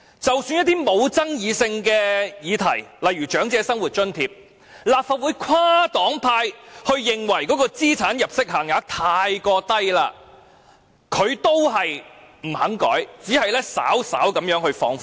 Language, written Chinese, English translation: Cantonese, 即使是一些沒有爭議性的議題，例如長者生活津貼，雖然立法會跨黨派均認為所訂定的資產入息限額太低，但他依然不肯修改，只肯稍為放寬。, As for other issues which are not controversial at all such as the asset and income limits applicable under the Old Age Living Allowance Scheme he has refused to revise the limits and has only announced a slight relaxation even though they are considered too low by Members of all political parties and groups in the Legislative Council